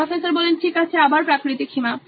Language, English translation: Bengali, Okay, again natural limit